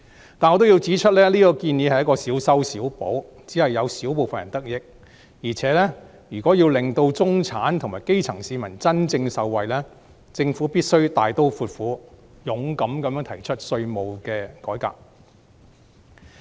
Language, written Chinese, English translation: Cantonese, 然而，我也要指出，這項建議也只是小修小補，只有小部分人得益；況且，如果要令到中產及基層市民真正受惠，政府必須大刀闊斧，勇敢地提出稅制改革。, However I wish to point out that the proposal is rather trivial as it will benefit a small group of people only . Besides if the Government really wants to benefit the middle - class and grass - roots people it should introduce tax reform in a bold and decisive manner